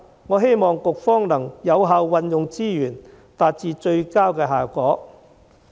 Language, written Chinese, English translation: Cantonese, 我希望局方能有效運用資源，達致最佳效果。, I hope that the authorities will make effective use of resources and achieve the best results